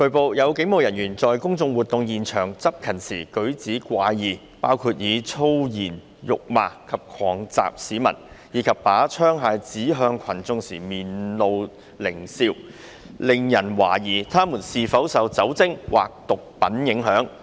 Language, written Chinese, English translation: Cantonese, 據報，有警務人員在公眾活動現場執勤時舉止怪異，包括以粗言辱罵及狂襲市民，以及把槍械指向群眾時面露獰笑，令人懷疑他們是否受酒精或毒品影響。, It has been reported that some police officers who were on duty at the scenes of public events behaved erratically including swearing at and violently assaulting members of the public as well as grinning hideously while pointing arms at crowds which had aroused suspicion as to whether they were under the influence of alcohol or drugs